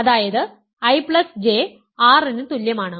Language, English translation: Malayalam, So, I intersection J is equal to I J